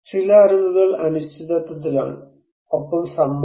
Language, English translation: Malayalam, Some knowledge are uncertain, and also consented